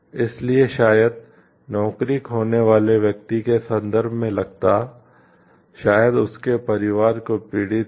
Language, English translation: Hindi, So, cost in terms of maybe a person suffering job loss, maybe his or her family suffering